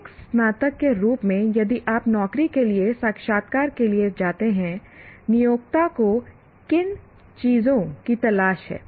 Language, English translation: Hindi, As a graduate, if you go for a job interview, what are the things that the employer is looking for